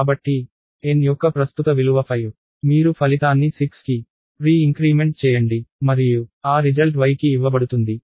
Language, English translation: Telugu, So, the current value of n is 5, you pre increment the result is 6 and that result is given to y